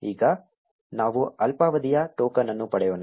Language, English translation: Kannada, Now, let us get the short lived token